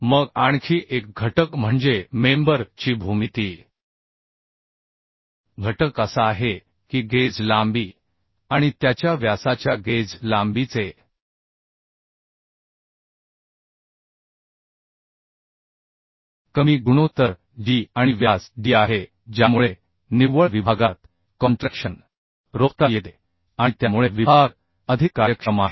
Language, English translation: Marathi, geometry factor of the member geometry factor is that a lower ratio of guz length to its diameter guz length means g and diameter d results in contentment of contraction at the net section and hence it is more efficient